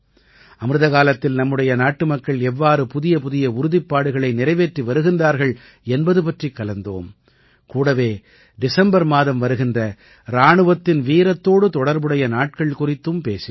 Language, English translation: Tamil, We discussed how our countrymen are fulfilling new resolutions in this AmritKaal and also mentioned the stories related to the valour of our Army in the month of December